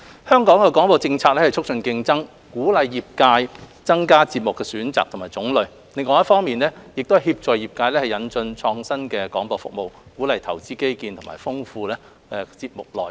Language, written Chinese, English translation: Cantonese, 香港的廣播政策是促進競爭，鼓勵業界增加節目的選擇和種類，另一方面亦協助業界引進創新的廣播服務，鼓勵投資基建及豐富節目內容。, Hong Kongs broadcasting policy objectives are to promote competition encourage the broadcasting sector to widen programme choice and diversity facilitate the sector to introduce innovative broadcasting services and encourage investment in infrastructure and enrichments in content